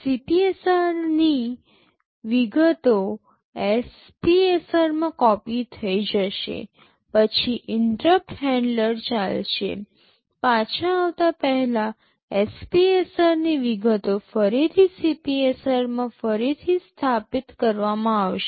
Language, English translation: Gujarati, The content of the CPSR will get copied into an SPSR, then interrupt handler will run, before coming back the content of the SPSR will be restored back into CPSR